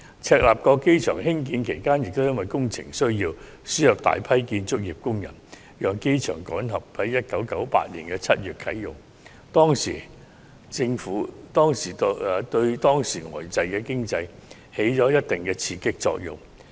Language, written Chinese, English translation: Cantonese, 赤鱲角機場興建期間，亦因為工程需要而輸入大量建築工人，讓機場趕及在1998年7月啟用，對當時呆滯的經濟亦起了一定的刺激作用。, During the construction of Chek Lap Kok Airport a large number of construction workers were also imported to meet the construction needs as a result the projects concerned were completed in time for the commissioning of the new airport in July 1998 which also stimulated the then stagnant economy to a certain extent